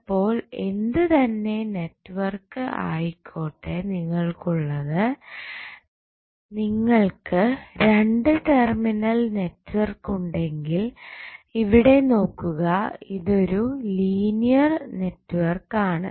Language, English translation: Malayalam, So, whatever the network you have suppose if you have network which is 2 terminal let us say it is a NB and you see this is linear network